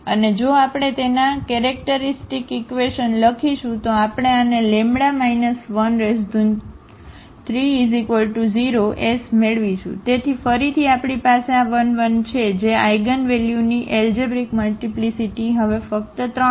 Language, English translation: Gujarati, And if we write down its characteristic equation, we will get this lambda minus 1 power 3 is equal to 0; so, again we have this 1 1 1 which the algebraic multiplicity of this eigenvalue is just 3 now